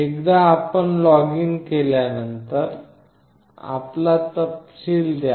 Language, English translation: Marathi, Once you login, put up your details